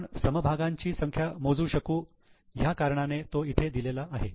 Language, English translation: Marathi, It is just given because we can use it for calculation of number of shares